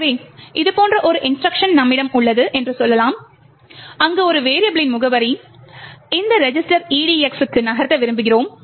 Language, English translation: Tamil, So let us say that we have an instruction like this where we want to move the address of a variable to this register EDX